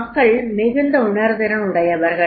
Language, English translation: Tamil, People are very, very sensitive